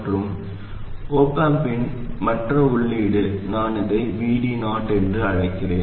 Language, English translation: Tamil, And this other input of the op amp I call it VD 0